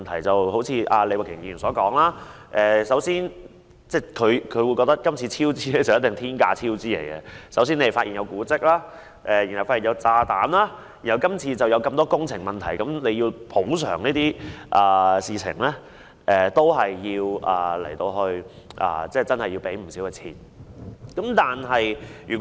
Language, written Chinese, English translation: Cantonese, 正如李慧琼議員所說，她認為今次工程必定面對天價超支，因為首先是發現古蹟，然後便發現有炸彈，及後出現許多工程問題，牽涉補償事宜，要支付的數額確實不少。, As Ms Starry LEE said the current construction works will definitely lead to a cost overrun of an astronomical amount . First there was the discovery of monuments and then came the unearthing of bombs . After that a series of problems relating to the construction works were exposed and since compensation is involved the amount needed to be paid will be substantial